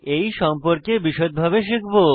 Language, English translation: Bengali, We will learn about this in detail